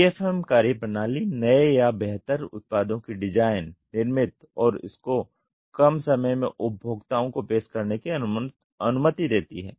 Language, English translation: Hindi, DFM methodology allows for new or improved products to be designed, manufactured and offered to the consumers in a short amount of time